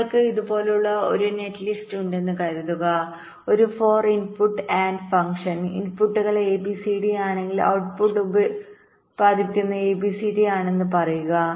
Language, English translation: Malayalam, suppose you have a netlist like this, just a four input nand function, say, if the inputs are a, b, c and d, the output produces is a, b, c, d